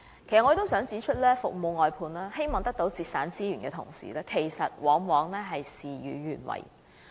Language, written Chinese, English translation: Cantonese, 其實，我想指出，雖然服務外判是為了節省資源，但往往事與願違。, Actually I wish to point out that although service outsourcing is meant to reduce resources but things could go against HAs hope